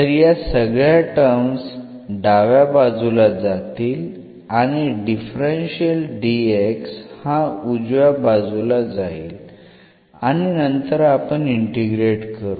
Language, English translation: Marathi, So, all this terms will go to the left hand side and the dx this differential will go to the right hand side and then we will integrate it